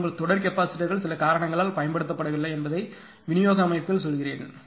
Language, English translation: Tamil, But let me tell you in distribution system that your series capacitors are not being used due to some reason